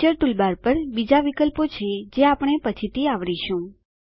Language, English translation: Gujarati, There are other options on the Picture toolbar which we will cover later